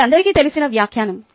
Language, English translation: Telugu, thats a well known quote